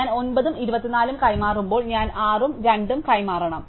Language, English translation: Malayalam, So, therefore, when I exchange 9 and 24, I must also exchange 6 and 2